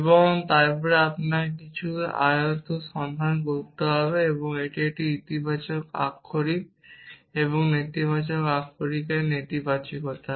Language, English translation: Bengali, And then you have to look for something verses and it is negation of a positive literal and negation negative literal